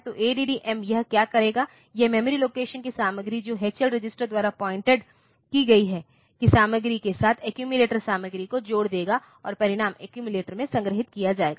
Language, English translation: Hindi, So, add M what it will do it will add the content of memory location pointed to by H L register with the content of accumulator, and the result will be stored in the accumulator